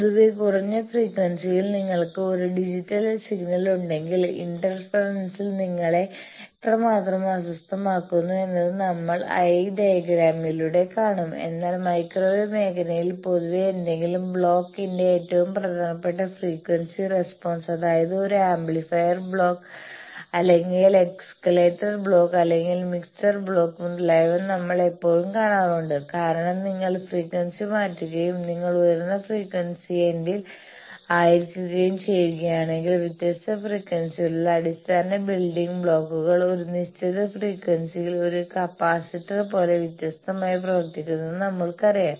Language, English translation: Malayalam, Then you see that generally in lower frequency thing, we thought about eye diagram that if you have a digital signal then generally how much the interference is causing you disturbance we see through eye diagram, but in the microwave region generally the more important frequency response of an any block an amplifier block or oscillator block or mixer block etcetera we always see because we know that if you change frequency and when you are at higher frequency end then the basic building blocks at different frequency they behave differently like a capacitor at certain frequency